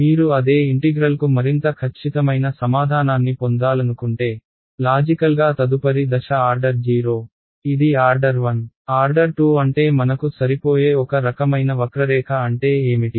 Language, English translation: Telugu, If you wanted to get a even more accurate answer for the same integral, the next step logically you can see this was order 0, this was order 1; order 2 means I what is a kind of curve that I will fit